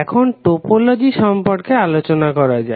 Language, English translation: Bengali, Now let us talk about the topology